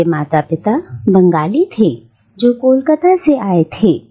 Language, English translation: Hindi, And she was born to Bengali parents who had migrated from Calcutta